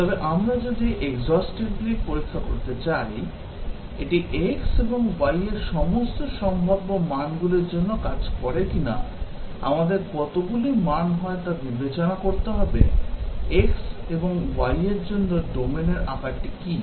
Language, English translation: Bengali, But then if we want to test exhaustively, whether it works for all possible values of x and y, we will have to consider how many values are, what is the domain size for x and y